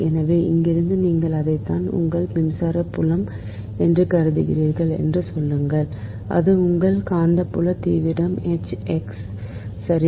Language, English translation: Tamil, so from here, say you assume that is your, your, what you call that electric field, it is your magnetic field intensity is h x, right